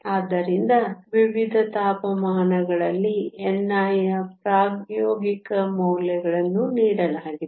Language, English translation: Kannada, So, the experimental values of n i at different temperatures are given